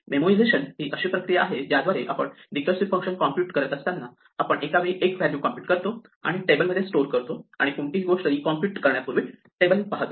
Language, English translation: Marathi, Memoization is the process by which when we are computing a recursive function, we compute the values one at a time, and as we compute them we store them in a table and look up the table before we recompute any